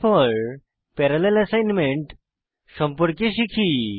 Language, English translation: Bengali, Next, let us learn about parallel assignment